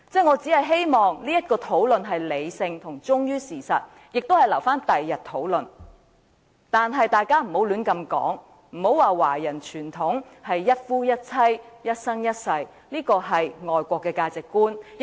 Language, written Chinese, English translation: Cantonese, 我只是希望這是理性並忠於事實的討論，亦可留待日後討論，但大家不要亂說華人傳統是一夫一妻及一生一世，這是外國的價值觀。, I only hope that there is rational discussion based on facts and this issue can be discussed in future but Members must not make nonsensical remarks about the Chinese tradition being monogamy and a lifetime marriage . This is a foreign value